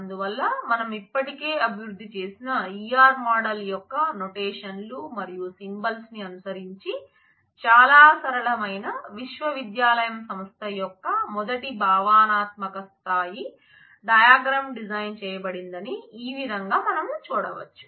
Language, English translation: Telugu, So, this is how we can see that how the E R diagram that the first conceptual level diagram of a very simple university enterprise is being designed following the notions and symbols of E R model that we have already developed